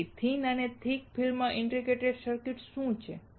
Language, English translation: Gujarati, So, what are thin and thick film integrated circuits